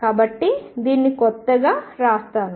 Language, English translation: Telugu, So, let me write this new